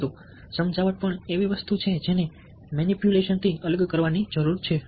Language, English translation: Gujarati, but persuasion is also something which needs to be differentiated from manipulation